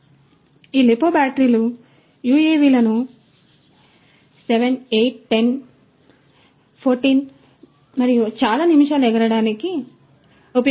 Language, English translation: Telugu, So, these lipo batteries are good for flying these UAVs for several minutes like you know 7, 8, 10 minutes, 14 minutes and so on